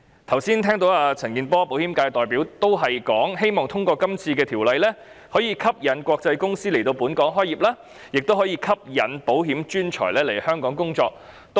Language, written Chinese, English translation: Cantonese, 我剛才聽到保險界代表陳健波議員表示，通過這項《條例草案》後，可以吸引國際公司來港開業，亦可以吸引保險專才來港工作。, Just now I heard Mr CHAN Kin - por the representative of the insurance sector say that the passage of the Bill can attract international companies to set up business in Hong Kong and insurance professionals to work in Hong Kong